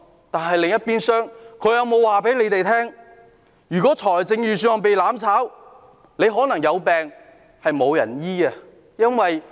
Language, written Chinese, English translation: Cantonese, 但另一邊廂，他們有否告訴大家，如果預算案被"攬炒"，有病可能會得不到醫治？, On the other hand however have they told us that if the Budget is vetoed by way of mutual destruction sick persons will possibly not be able to get medical treatment?